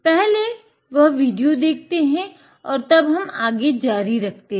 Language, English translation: Hindi, Let us see that video and then we will continue